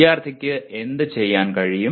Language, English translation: Malayalam, What should the student be able to do